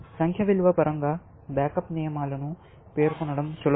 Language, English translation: Telugu, In terms of numerical value, it is easier to state the backup rules